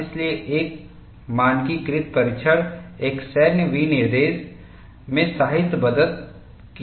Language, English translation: Hindi, So, a standardized test, codified in a military specification was developed